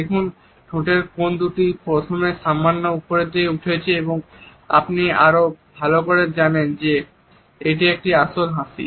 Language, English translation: Bengali, See the two lip corners going upwards first slightly and then even more you know that is a genuine smile